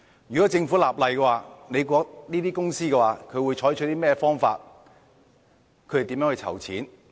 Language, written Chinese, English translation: Cantonese, 如果政府立例，這些公司會採取甚麼方法籌錢呢？, If the Government would legislate for this what would these companies do to pool funds?